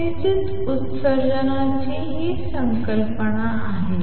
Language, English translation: Marathi, So, this is the concept of stimulated emission